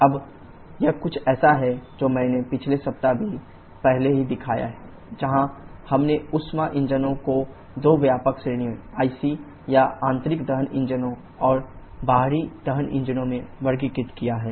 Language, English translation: Hindi, Now, this is something that I have shown earlier also in last week only where we have classified the heat engines into two broad categories the IC or internal combustion engines and the external combustion engines